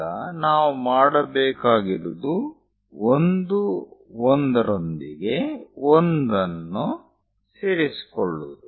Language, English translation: Kannada, Now what we have to do is join 1 with 1, 1